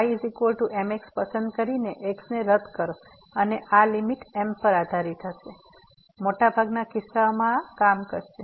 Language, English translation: Gujarati, So, choosing is equal to the will get cancel and this limit will depend on m, in most of the cases this will work